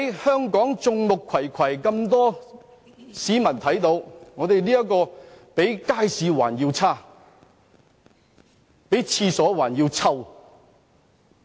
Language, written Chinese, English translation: Cantonese, 在眾目睽睽之下，立法會的情況比街市還要差，比廁所還要臭。, Before the very eyes of the public the Legislative Council degenerates into something filthy and bad